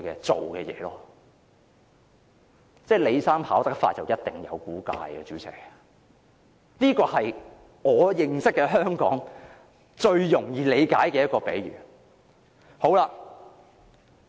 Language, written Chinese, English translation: Cantonese, 主席，"李生跑得快，一定有古怪"，這就是我認識的最容易理解的香港現況比喻。, President when Mr LI runs so fast something weird must have happened . This is the metaphor for Hong Kongs current situation one that I know and one that is the easiest for me to understand